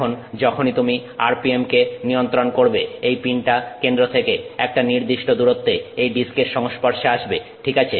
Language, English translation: Bengali, Now, once you control the RPM this pin comes in contact with the disk at a particular distance from the center